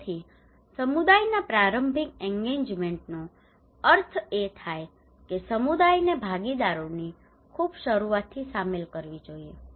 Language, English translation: Gujarati, So early engagement of the community it means that community should be involved from the very beginning of the participations